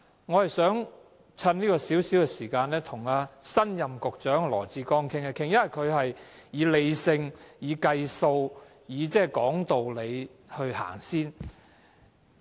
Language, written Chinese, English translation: Cantonese, 我想藉這短短的發言時間，跟新任局長羅致光談一談，因為他處事理性、計算及道理先行。, Let me stop raking over old coals . I wish to spend my limited speaking time on holding a brief discussion with new Secretary Dr LAW Chi - kwong because he is a rational man good at computation and talks reason before anything else